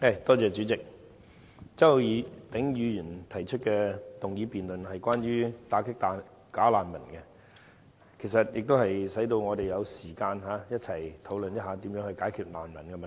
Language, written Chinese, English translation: Cantonese, 代理主席，周浩鼎議員提出"打擊'假難民'"議案辯論，讓我們有時間一起討論如何解決這個難民問題。, Deputy President Mr Holden CHOW proposes the motion debate on Combating bogus refugees and this allows us to discuss the solutions for this refugee problem